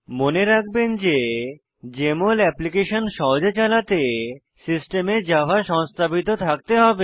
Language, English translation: Bengali, For Jmol Application to run smoothly, you should have Java installed on your system